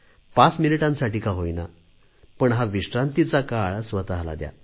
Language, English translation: Marathi, If only for five minutes, give yourself a break